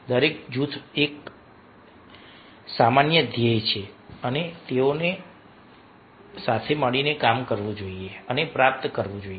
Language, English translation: Gujarati, so for each group there is a common goal and they are supposed to work together and achieve so